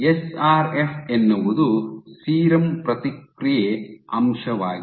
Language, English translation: Kannada, So, SRF is serum response factor